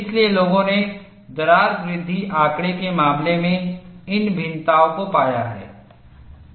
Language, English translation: Hindi, So, people have found these variations, in the case of crack growth data